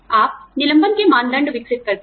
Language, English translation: Hindi, You develop layoff criteria